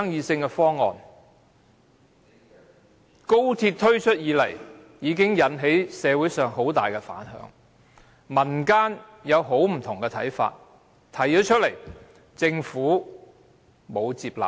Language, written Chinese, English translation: Cantonese, 自高鐵項目推出以來，引起社會很大反響，民間提出了很多不同看法，但政府並無接納。, Since the introduction of the Express Rail Link XRL project society has reacted strongly a wide array of views from the community have never been taken on board by the Government